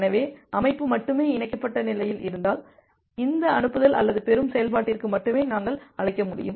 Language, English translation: Tamil, So, if only the system is in the connected state then only we will be able to make a call to this send or receive function